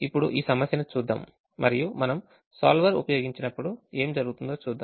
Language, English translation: Telugu, now let's look at this problem and see how, what happens when we use the solver